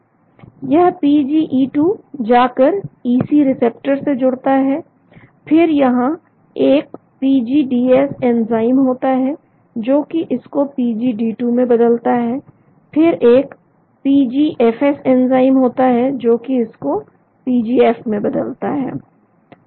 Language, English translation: Hindi, This PGE2 goes to EP receptors , then there is a PGDS enzyme which converts that into PGD2, then there is a PGFS enzyme which converts into PGF